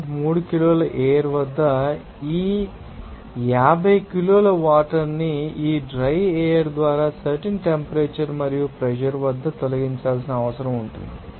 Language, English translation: Telugu, 3 kg of air actually is required to remove this 50 kg of water by this dry air at that particular temperature and pressure